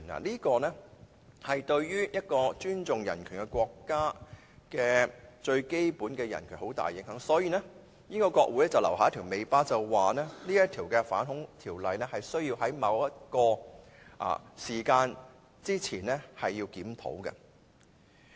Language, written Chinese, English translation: Cantonese, 這些都會對一個尊重人權的國家的最基本人權造成很大的影響，所以英國國會便留下尾巴，訂明這條反恐條例必須在某個時間之前作檢討。, All this will have an enormous impact on the most basic human rights enjoyed by a country where human rights are respected . This explains why the British Parliament has retained a tail to provide that this anti - terrorist Act must be reviewed before a certain period of time